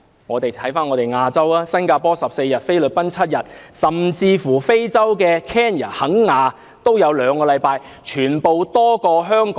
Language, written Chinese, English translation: Cantonese, 回看亞洲地區，新加坡的侍產假有14天，菲律賓有7天，甚至非洲肯雅也有兩星期。, In Asia Singapore and the Philippines respectively offer 14 days and 7 days of paternal leave . Even speaking of Kenya in Africa the duration is two weeks